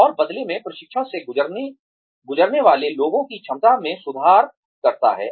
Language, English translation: Hindi, And, that in turn, improves the ability of people, undergoing training